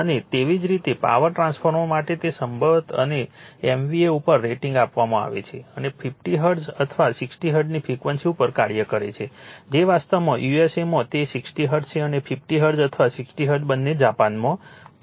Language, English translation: Gujarati, And similarly for power transformer rated possibly at several MVA and operating at a frequency 50 Hertz or 60 Hertz that is USA actually it is 60 Hertz and 50 Hertz or 60 Hertz both are there in Japan, right